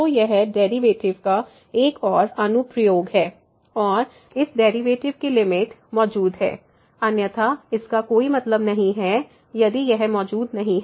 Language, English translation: Hindi, So, it is a another application of the derivatives and naturally when this limit the limit of the derivatives exist, otherwise this does not make sense if the this does not exist